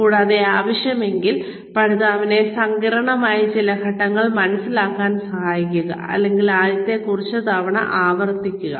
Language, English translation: Malayalam, And, if required, then help the learner, understand or repeat some of the complicated steps, the first few times